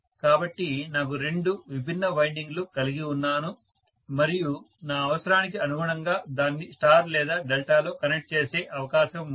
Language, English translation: Telugu, So, I have two distinct windings and I have the opportunity to connect it in either star or delta as per my requirement